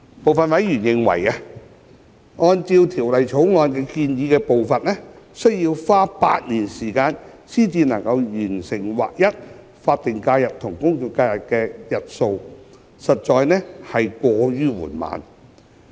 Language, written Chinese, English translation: Cantonese, 部分委員認為，按照《條例草案》建議的步伐，需要花8年時間才能完成劃一法定假日與公眾假期的日數，實在過於緩慢。, Some members considered that the proposed pace under the Bill was unduly slow because it would take eight years time to achieve the alignment of the number of SHs with GHs